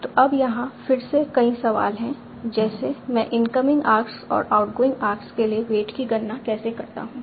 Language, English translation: Hindi, So now again here are many questions like how do I compute the wait for the incoming hours in outgoing arcs